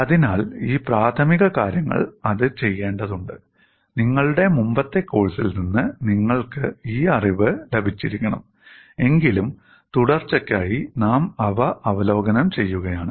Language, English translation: Malayalam, So, these preliminaries are required to do that, although you should have got this knowledge from your earlier course, we are reviewing them for continuity